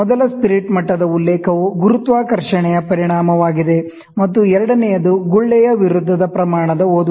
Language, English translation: Kannada, So, the first spirit level the first reference is effect of gravity, and the second one is scale against the bubble in reading